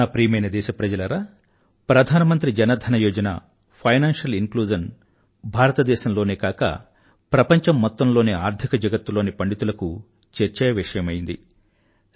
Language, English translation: Telugu, My dear countrymen, the Pradhan Mantri Jan DhanYojna, financial inclusion, had been a point of discussion amongst Financial Pundits, not just in India, but all over the world